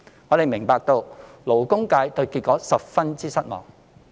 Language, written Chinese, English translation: Cantonese, 我們明白勞工界對這結果十分失望。, We understand that the labour sector is very much disappointed with this outcome